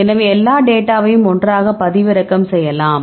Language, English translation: Tamil, So, you can download all the data all together ok